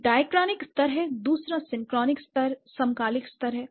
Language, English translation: Hindi, One is the dichronic level, the other one is the synchronic level